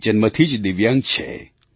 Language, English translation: Gujarati, He is a Divyang by birth